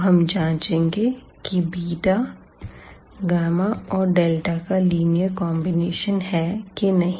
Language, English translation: Hindi, Now, we will check for the second one that if this beta is a linear combination of gamma and delta